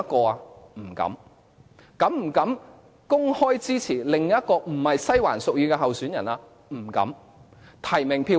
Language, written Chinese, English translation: Cantonese, 是否有膽量公開支持另一位並非西環屬意的候選人？, Did they dare to openly support candidates other than the Western District preferred one?